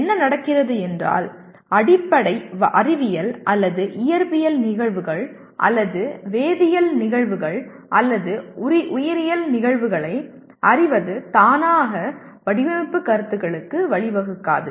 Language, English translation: Tamil, What happens is, knowing the underlying science or physical phenomena or chemical phenomena or biological phenomena it does not automatically lead to design concepts